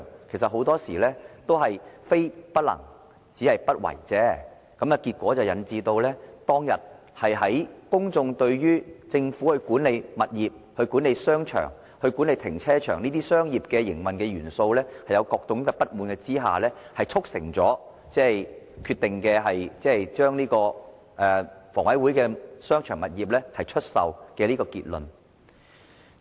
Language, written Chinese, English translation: Cantonese, 其實很多時候都是非不能也，實不為也，結果引致公眾對政府在管理物業、商場和停車場方面的商業營運元素產生各種不滿，促成將房委會的商場物業出售這個決定。, Very often it is not about ones ability . It is actually about ones refusal to act which eventually caused the public to harbour various kinds of discontent with the elements of commercial operation in the Governments management of properties shopping arcades and car parks thus giving rise to the decision of selling HAs shopping arcades